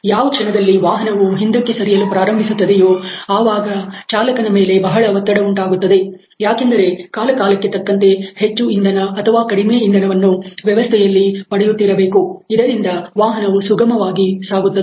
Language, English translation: Kannada, The moment that happens faltering back there is obviously, a pressure on the driver about getting more fuel or less fuel in the system from time to times so that it the vehicle can operate smoothly ok